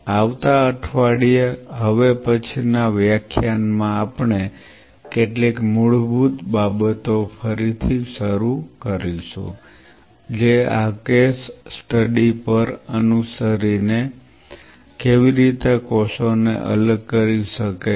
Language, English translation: Gujarati, So, next class next week we will be starting to some of the basic things again following up on this case study how one can separate different cells